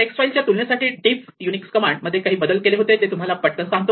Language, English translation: Marathi, And other important example is something called a diff, which is Unix command compared to text files